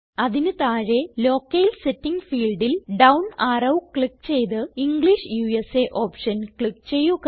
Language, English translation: Malayalam, Below that click on the down arrow in the Locale setting field and then click on the English USAoption